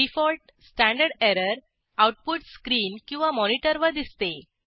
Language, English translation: Marathi, The default standard error output is visible on the screen or monitor